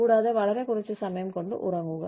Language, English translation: Malayalam, And, you know, do with very little sleep time